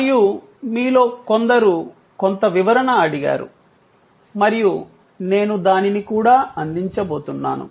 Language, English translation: Telugu, And some of you have asked for some clarification and I am going to provide that as well